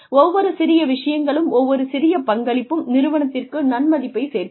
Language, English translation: Tamil, That, every little bit, every little contribution, is going to add value to the organization